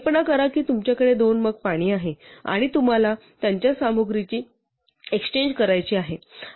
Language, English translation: Marathi, So imagine that you have two mugs of water, and now you want to exchange their contents